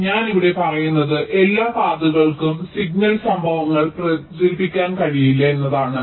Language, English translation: Malayalam, so what i am saying here is that not all paths can propagate signal events